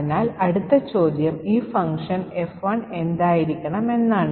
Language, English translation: Malayalam, So, the next question is what should be this function F1